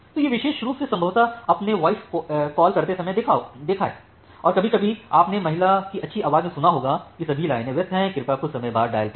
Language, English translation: Hindi, So, this particular thing possibly you have observed when making a voice call, sometime you have heard that a nice voice from a lady that all lines are busy please dial after some time